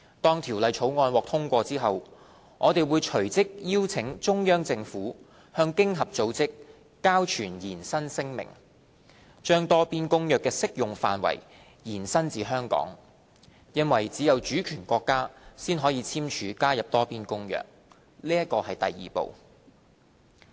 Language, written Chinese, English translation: Cantonese, 當《條例草案》獲通過後，我們會隨即邀請中央政府向經合組織交存延伸聲明，把《多邊公約》的適用範圍延伸至香港，因為只有主權國家才可簽署加入《多邊公約》，這是第二步。, After the passage of the Bill we will immediately seek the assistance of the Central Peoples Government CPG in depositing the declaration for territorial extension to OECD so that the application of the Multilateral Convention shall be extended to Hong Kong given that the Multilateral Convention is only open for signature by sovereign states . This is the second step